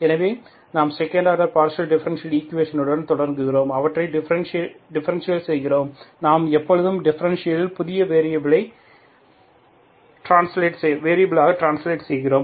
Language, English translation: Tamil, So we started with the second order partial differential equations, we classify them, we always, in the classification we translate into new variables